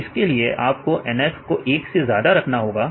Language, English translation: Hindi, So, here the condition is NF is greater than 1